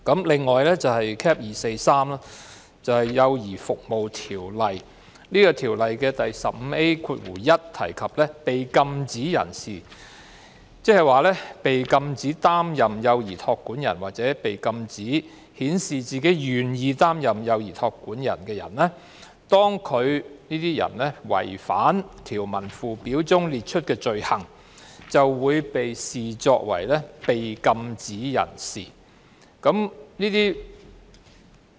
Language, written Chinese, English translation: Cantonese, 另一受影響的是《幼兒服務條例》，當中第 15A1 條訂明，被禁止不得擔任幼兒託管人或被禁止顯示自己為願意擔任幼兒託管人的人，如違反條文附表列出的罪行，會被視作被禁止人士。, The Child Care Services Ordinance Cap . 243 is another ordinance which will be affected . Section 15A1 of the Ordinance stipulates that persons who contravene the offences set out in the Schedule thereof will be regarded as prohibited persons who are prohibited from acting as or holding himself out as willing to act as childminders